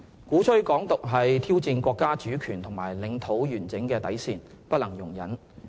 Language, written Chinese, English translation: Cantonese, 鼓吹"港獨"是挑戰國家主權和領土完整的底線，不能容忍。, Calls for Hong Kong independence are unacceptable and intolerable as they challenge the countrys sovereignty and territorial integrity